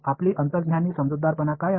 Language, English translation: Marathi, What is your intuitive understanding